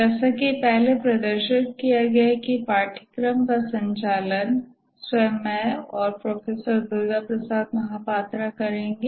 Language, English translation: Hindi, Welcome to the software project management course as has been handled by myself and Professor Durga Prasad Mahapatra